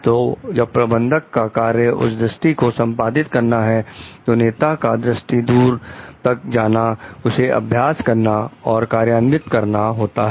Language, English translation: Hindi, So, when a managers job is to like execute the vision, so that the leaders vision is reached in a more like, it gets practiced and gets implemented